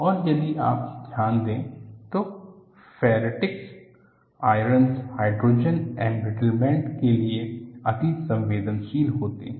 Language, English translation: Hindi, And if you notice, ferritic ions are susceptible to hydrogen embrittlement